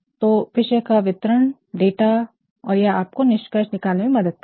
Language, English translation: Hindi, So, the description of topics data and this will actually help you draw inferences